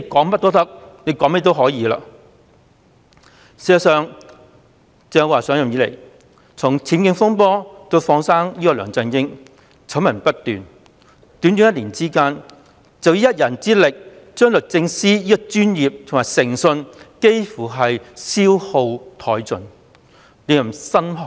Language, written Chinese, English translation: Cantonese, 事實上，鄭若驊自上任以來醜聞不斷，包括她自己的僭建風波以至放生梁振英，在短短一年間，她以一人之力便幾乎將律政司的專業及誠信消耗殆盡，令人心寒。, In fact since Teresa CHENG assumed office she has been caught in successive scandals including her own UBWs incident and her decision to let go of LEUNG Chun - ying . Over a short span of one year she alone has plunged DoJs professionalism and integrity into near devastation . This has sent shivers down our spine